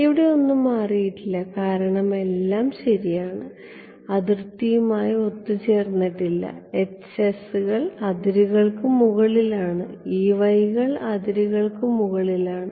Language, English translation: Malayalam, Nothing changed here because it is all clean there is no overlap with the boundary right the Hs are above the boundary the Es are E ys are above the boundary